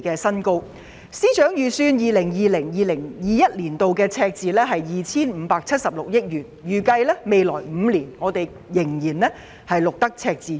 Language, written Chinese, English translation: Cantonese, 財政司司長預計 2020-2021 年度的赤字為 2,576 億元，並且預計未來5年仍會繼續錄得赤字。, The Financial Secretary FS forecasted a deficit of 257.6 billion for 2020 - 2021 and it is expected that fiscal deficits will be recorded in the coming five years